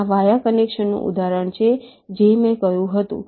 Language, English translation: Gujarati, this is the example of a via connection that i had said